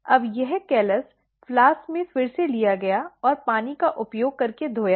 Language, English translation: Hindi, Now, this callus is taken again in the flask and washed using water